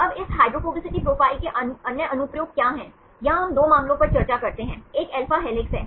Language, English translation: Hindi, So, now, what are other applications of this hydrophobicity profiles, here we discuss 2 cases, one is the alpha helices